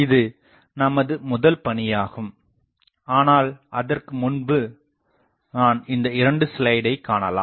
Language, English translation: Tamil, This will be our first task, but before that I will want to show you two slides